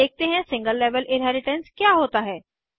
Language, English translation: Hindi, Let us see what is single level inheritance